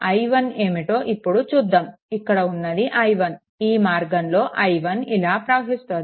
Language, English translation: Telugu, I 1 will be this i 1 is flowing like this it is going like this